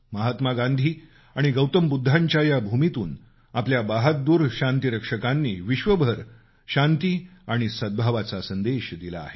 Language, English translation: Marathi, The brave peacekeepers from this land of Mahatma Gandhi and Gautam Budha have sent a message of peace and amity around the world